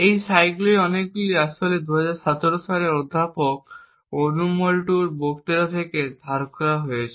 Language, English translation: Bengali, A lot of these slides are actually borrowed from Professor Onur Mutlu’s talk in 2017